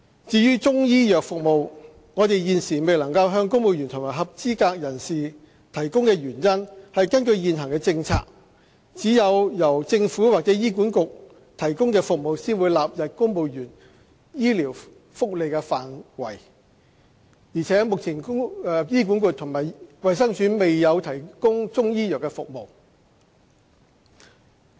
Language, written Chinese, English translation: Cantonese, 至於中醫藥服務，我們現時未能向公務員及合資格人士提供的原因是根據現行政策，只有由政府或醫管局提供的服務才會納入公務員醫療福利範圍，而目前醫管局及衞生署未有提供中醫藥服務。, With regards to Chinese medical service we cannot provide such service to civil servants and eligible persons because according to existing policy only the service provided by the Government or HA will be included in the medical benefits for civil servants but currently HA and the Department of Health DH do not provide Chinese medical service